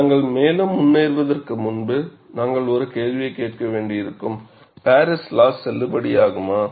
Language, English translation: Tamil, And before we proceed further, you know we will have to ask a question, is Paris law valid